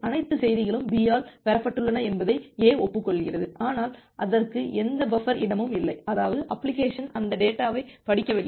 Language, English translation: Tamil, The A is acknowledging that that this particular message, all the message has been received by B, but it does not have any buffer space available; that means, the application has not read that data